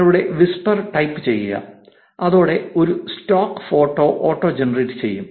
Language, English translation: Malayalam, Type your whisper and it will auto generate a stock photo to go along with it